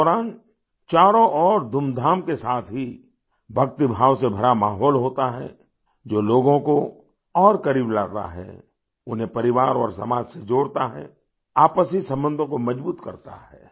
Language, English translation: Hindi, During this time, there is an atmosphere of devotion along with pomp around, which brings people closer, connects them with family and society, strengthens mutual relations